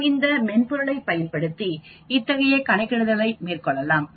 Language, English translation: Tamil, We can do the same calculations with that software also